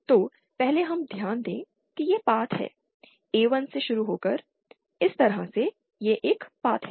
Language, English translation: Hindi, So, 1st we note that this is the path, starting from A1, going like this, this is one path